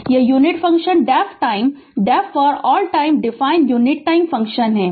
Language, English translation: Hindi, So, this is the unit function def time your def for all time how you define unit time function